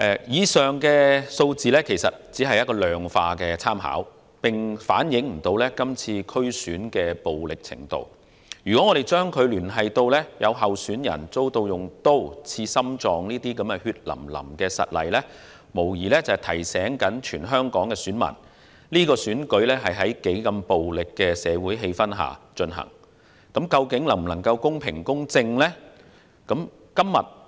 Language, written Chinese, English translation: Cantonese, 以上數字只是一個量化的參考，並未能反映這次區選的暴力程度，如果將之聯繫到有候選人遭人用刀刺向心臟的血淋淋實例，這無疑是在提醒全港選民，是次選舉是在多麼暴力的社會氣氛下進行，究竟能否公平及公正地舉行呢？, The figures mentioned above are just quantitative information for reference purpose and they can in no way reflect the degree of violence involved in the DC Election this year . If we couple the figures with a bloody incident in which a candidate was stabbed at the heart with a knife they undoubtedly serve to remind all voters in Hong Kong of the tense social atmosphere in which the DC Election is held this year and can the Election be held in a fair and just manner?